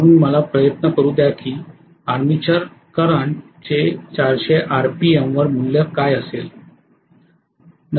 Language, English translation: Marathi, So let me try to calculate what is the value of first of all armature current at 400 RPM